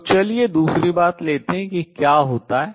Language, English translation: Hindi, So, let us take the other thing what happens